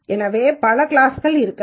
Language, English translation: Tamil, So, there might be many classes